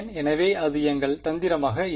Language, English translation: Tamil, So, that is going to be our strategy